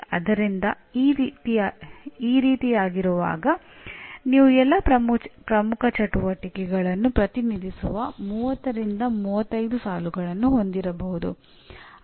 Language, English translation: Kannada, So when you have like this, you may have something like 30 to 35 rows representing all the core activities